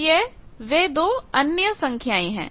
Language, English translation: Hindi, So, these are the 2 other values